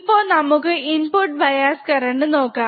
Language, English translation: Malayalam, This is how we can measure the input bias current